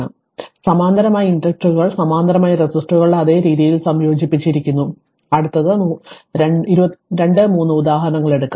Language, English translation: Malayalam, So, inductors in parallel are combined in the same way as resistors in parallel, next will take 2 3 examples